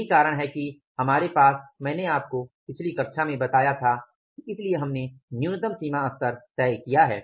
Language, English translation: Hindi, That is why we have I told you in the previous class we have fixed up the minimum threshold level